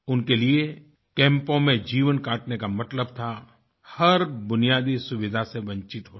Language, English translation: Hindi, Life in camps meant that they were deprived of all basic amenities